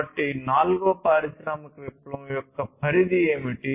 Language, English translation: Telugu, So, what is the scope of the fourth industrial revolution